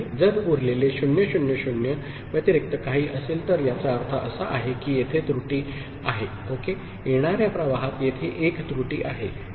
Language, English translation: Marathi, If the remainder is anything other than 0 0 0 ok, then that means there is error here, there is an error here in the incoming stream, ok